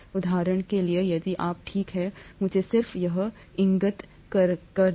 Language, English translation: Hindi, For example, if you, okay let me just point this out to you